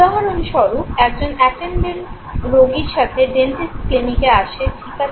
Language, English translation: Bengali, For instance an attendant comes along with the patient okay, to a dentist clinic okay